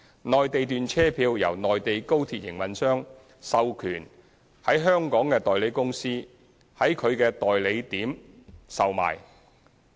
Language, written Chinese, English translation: Cantonese, 內地段車票由內地高鐵營運商授權在香港的代理公司在其代售點售賣。, They are sold at ticket outlets operated by agents in Hong Kong under the authorization of the Mainland high - speed rail operator